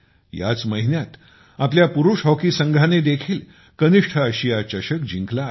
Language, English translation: Marathi, This month itself our Men's Hockey Team has also won the Junior Asia Cup